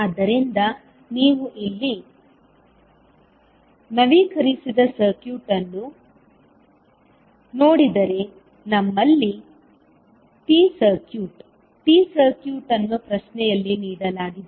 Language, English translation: Kannada, So, if you see the updated circuit here you have the T circuit of the, T circuit given in the question